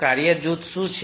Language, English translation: Gujarati, what is task group